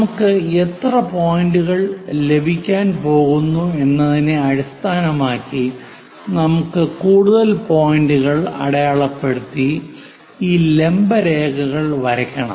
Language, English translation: Malayalam, Based on how many points we are going to have if we are going to divide many more points drawing these vertical lines